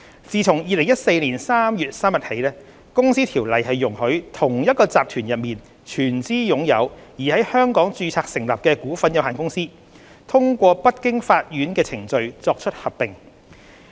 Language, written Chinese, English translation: Cantonese, 自2014年3月3日起，《公司條例》容許同一集團內全資擁有而在香港註冊成立的股份有限公司，通過不經法院的程序作出合併。, 622 CO . Since 3 March 2014 CO has provided for a court - free amalgamation procedure for wholly - owned intra - group companies incorporated in Hong Kong and limited by shares to amalgamate